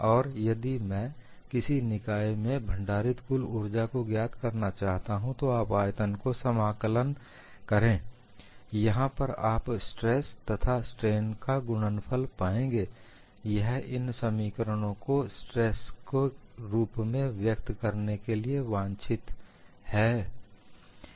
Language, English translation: Hindi, And If I want to find out the total energy stored in the system, you do the integration over the volume, here you find product of stress and strain, it is also desirable to look at these expressions in terms of stresses alone